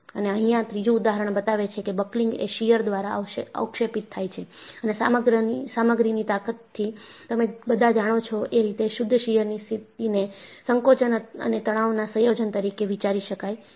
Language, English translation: Gujarati, And, the third example shows, buckling is precipitated by shear and from your strength of materials, you all know, a pure shear state can be thought of as combination of tension and compression